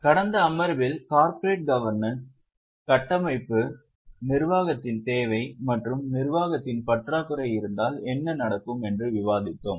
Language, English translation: Tamil, In the last session we had discussed corporate governance, the structure, the need for governance and what will happen if there is a lack of governance